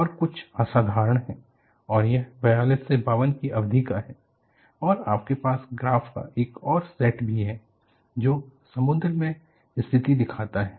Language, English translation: Hindi, This is something unhealthy and this gives for a period from 42 to 52 and you also have another set of graphs, which shows the condition at sea